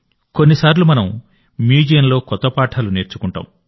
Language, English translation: Telugu, Sometimes we get new lessons in museums… sometimes we get to learn a lot